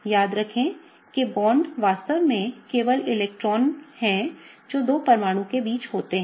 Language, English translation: Hindi, Remember that the bonds are really just electrons that are held between the two atoms